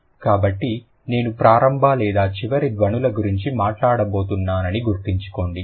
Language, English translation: Telugu, So, remember, I'm going to talk about the initial or final, something like that